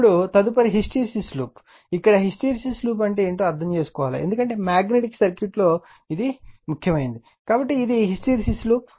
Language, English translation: Telugu, Now, next is the hysteresis loop, here we have to understand something what is hysteresis loop, because magnetic circuit you will see this one, so this hysteresis loop